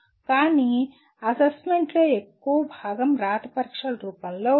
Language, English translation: Telugu, But majority of the assessment is in the form of written examinations